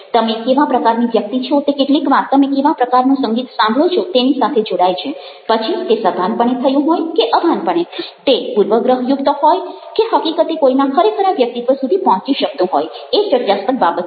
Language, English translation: Gujarati, the kind of person you are is very often link to the kind of music that you, that you listen to, whether ah its done consciously or unconsciously, whether it is baised or whether it actually manages to access somebodies real persona